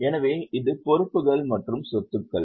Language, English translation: Tamil, So, this is liability as assets